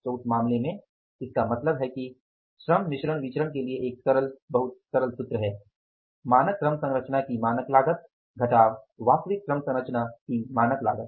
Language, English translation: Hindi, So, in that case it means simple, it is very simple, the formula is labor mix variance is standard cost of standard labor composition minus standard cost of the actual labor composition because cost is same